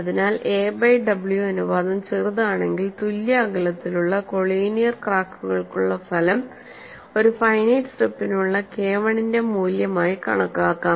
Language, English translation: Malayalam, So, when a by w ratio is small, we result for evenly spaced collinear cracks can be taken as the value of K1 for a finite strip also